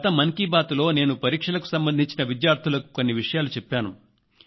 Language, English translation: Telugu, In the last edition of Mann Ki Baat I talked about two things